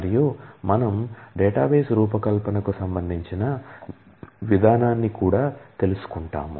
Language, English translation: Telugu, And we would also outline the approach to database design